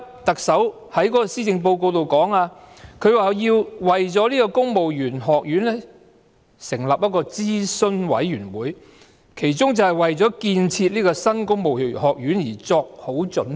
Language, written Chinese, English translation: Cantonese, 特首在施政報告中提到，為了設立公務員學院需要成立諮詢委員會，它的其中一項工作就是為了建設公務員學院作好準備。, The Chief Executive mentions in the Policy Address that she will set up an advisory board for the construction of the Civil Service College . One of the tasks of the advisory board is to prepare for the construction of the new college